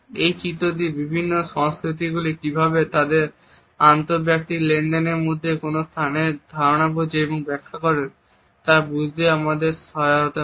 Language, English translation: Bengali, This diagram also helps us to understand how different cultures understand and interpret the sense of a space in their inter personal dealings